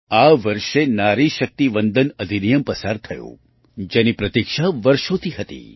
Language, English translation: Gujarati, In this very year, 'Nari Shakti Vandan Act', which has been awaited for years was passed